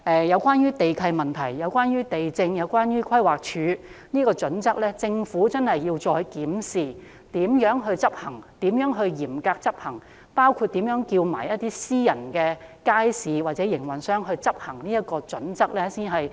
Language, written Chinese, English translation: Cantonese, 有關地契問題、地政和規劃署的準則，我很希望政府再檢討如何可以嚴格執行，包括如何要求私營街市營運商遵循這套準則。, Regarding land lease and the criteria set by the Lands Department and the Planning Department I very much hope that the Government will review afresh how to strictly enforce the criteria including how to request private market operators to comply with the criteria